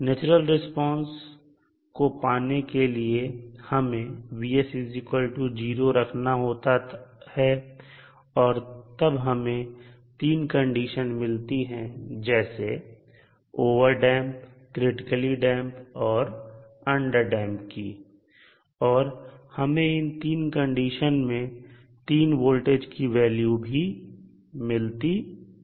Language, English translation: Hindi, To get the natural response we set Vs equal to 0 and we found the 3 conditions like overdamped, critically damped and underdamped situation and we got the 3 voltage value under this 3 condition